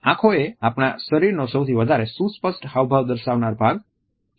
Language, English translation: Gujarati, Eyes are the most expressive part of our body